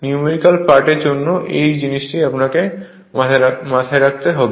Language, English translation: Bengali, This thing for numerical part you have to keep it in your mind